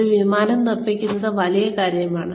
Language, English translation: Malayalam, Building an Airplane is big